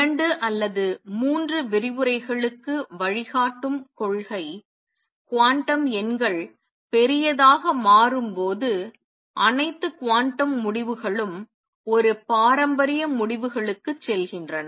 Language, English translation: Tamil, Principle which will be guiding principle for or next two or three lectures, is that as quantum numbers become large all quantum results go to a classical results